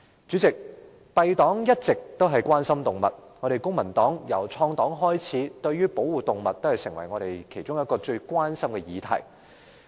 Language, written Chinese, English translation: Cantonese, 公民黨一直關心動物，由創黨開始，保護動物已成為我們其中一項最關注的議題。, The Civic Party is always concerned about animals . Since its inception our party has regarded animal protection as one of our prime concerns